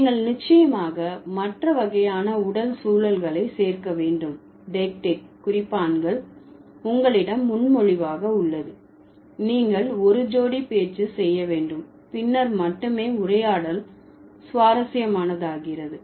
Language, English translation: Tamil, So, you definitely need to add other kinds of physical context, the dietic markers, presuppositions that you have, you might perform a couple of speech acts, then only the conversation becomes interesting